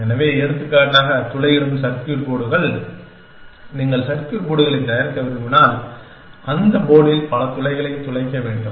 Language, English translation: Tamil, So, for example drilling circuit boards, if you want to manufacture circuit boards then, you have to drill many holes on that board